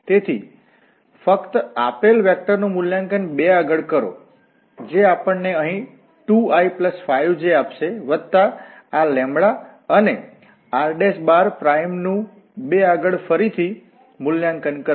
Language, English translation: Gujarati, So, we can just evaluate the given vector at 2, which will give us here 2 plus 5j plus this lambda and this r prime again evaluated at 2